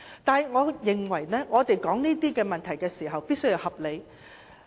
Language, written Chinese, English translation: Cantonese, 但是，我認為我們討論這些問題時，必須合理。, However I think we have to be reasonable when discussing these issues